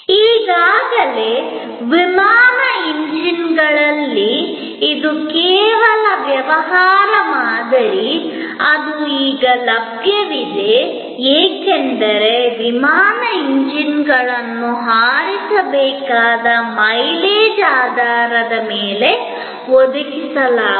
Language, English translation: Kannada, Already, in aircraft engines, this is the only business model; that is now available, because aircraft engines are provided on the basis of mileage to be flown